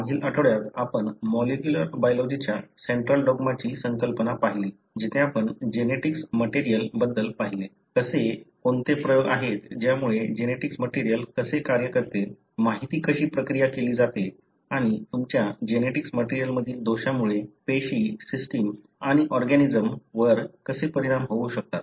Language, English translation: Marathi, In the previous week we looked into the concept of central dogma of molecular biology, where we looked in the genetic material, how, what are the experiments that led to understanding as to how the genetic material functions, how the information is processed and how defects in your genetic material can have an effect on the cell, system and organism